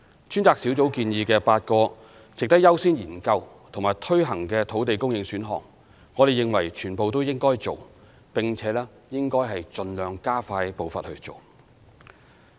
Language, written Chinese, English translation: Cantonese, 專責小組建議的8個值得優先研究和推行的土地供應選項，我們認為全部應該做，並且應該盡量加快步伐去做。, In our view we should take forward all the eight land supply options worthy of priority study and implementation as recommended by the Task Force and should expedite our efforts by all means